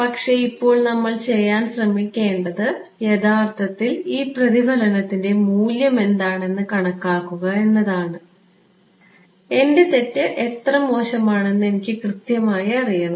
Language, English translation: Malayalam, But, now what we should try to do is actually calculate what is a value of this reflection, I should know right how bad is my error